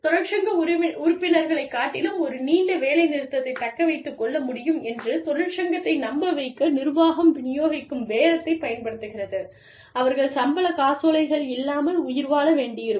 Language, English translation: Tamil, Management tends to use, distributive bargaining, when it tries to convince the union, that it can sustain a long strike, much better than union members, who will have to survive, without their paychecks